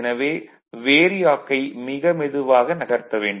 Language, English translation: Tamil, So, that VARIAC you have to move it very slowly